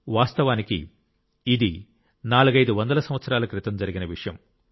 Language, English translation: Telugu, Actually, this is an incident about four to five hundred years ago